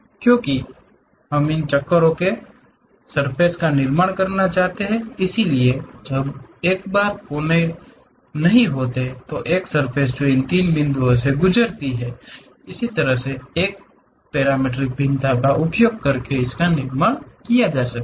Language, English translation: Hindi, Because, we want to construct surface from these vertices; so, once vertices are not, a surface which pass through these three points can be constructed using such kind of parametric variation